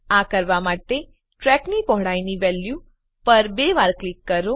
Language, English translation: Gujarati, To do this double click on the value of Track Width